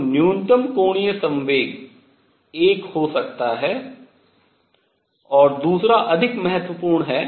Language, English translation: Hindi, So, lowest angular momentum could be 1 and number 2 more important